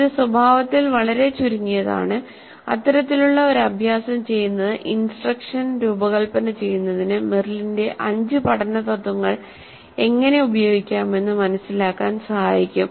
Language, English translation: Malayalam, It is prescriptive in nature and doing this kind of an exercise would help us to understand how to use Merrill's five first principles of learning in order to design instruction